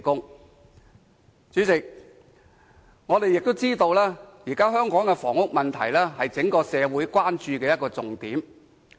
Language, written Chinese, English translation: Cantonese, 代理主席，我們亦知道現時香港的房屋問題，是整個社會關注的重點。, Deputy President we also understand that housing policy in Hong Kong is now the focus of concern of the entire society